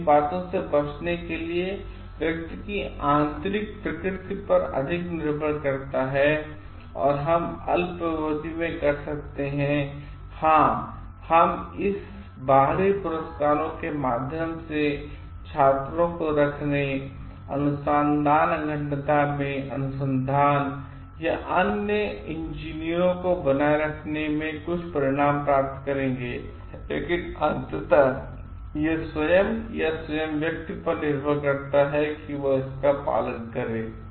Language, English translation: Hindi, So, it depends more on the intrinsic nature of the person to avoid these things and we can in the short term, yes we will definitely get some results in keeping students, maintaining the research or other engineers in the research integrity through this extrinsic rewards, but ultimately it depends on the person himself or herself to follow it